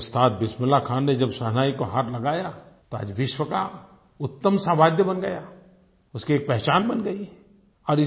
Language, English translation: Hindi, But Ustad Bismillah Khan's mastery over the Shehnai made it one of the finest musical instruments in the world; it has now carved an identity of its own